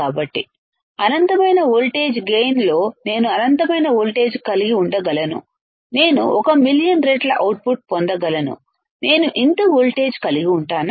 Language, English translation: Telugu, So, in finite voltage gain that means, that I can have infinite amount of voltage I can get 1, 1 million times output, one can I have this much voltage right